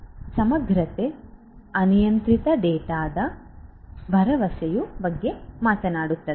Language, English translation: Kannada, Integrity talks about assurance of an uncorrupted data